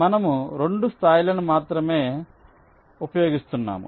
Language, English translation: Telugu, we are using only two levels